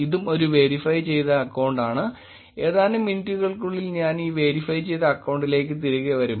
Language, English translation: Malayalam, This is also a verified account; I will come back to this verified account in few minutes